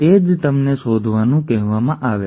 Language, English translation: Gujarati, That is what you are asked to find